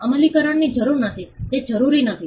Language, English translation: Gujarati, No need for enforcement it is not required